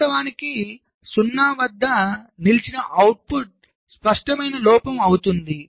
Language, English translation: Telugu, of course, output stuck at zero will be an obvious fault